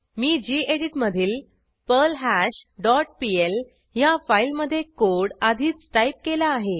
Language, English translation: Marathi, I have already typed the code in perlHash dot pl file in gedit